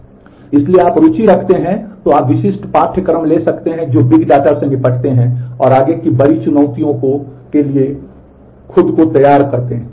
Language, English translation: Hindi, So, if you are interested, you can take specific courses which deal with the big data and prepare yourself for the bigger challenges ahead